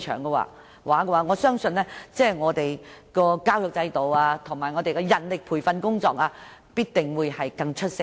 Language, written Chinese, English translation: Cantonese, 這樣，我相信教育制度和人力培訓工作必定會更出色。, With all these in place I am sure we can do much better in advancing the education system and manpower training